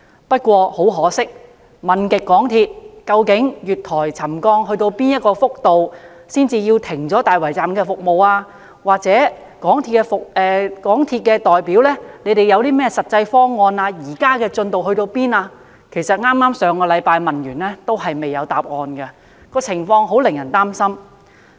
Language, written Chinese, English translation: Cantonese, 不過，很可惜，即使我已多番追問港鐵公司，月台沉降至哪個幅度才要停止大圍站的服務，又問港鐵公司代表有何實際方案處理和當前的進度如何——我剛於上星期再問他們——但仍然未有答案，情況令人擔心。, Apart from making repeated enquiries with MTRCL on the settlement level of the platform which called for suspension of services at the Tai Wai Station I also asked MTRCLs representatives about the concrete measures in place for handling the incident as well as the progress made so far . In fact I made an enquiry again last week . Unfortunately MTRCL has yet to provide an answer even now and the situation is worrying indeed